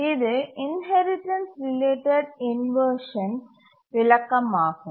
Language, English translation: Tamil, And this is the explanation for the inheritance related inversion